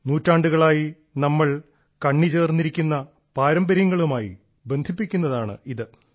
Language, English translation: Malayalam, It's one that connects us with our traditions that we have been following for centuries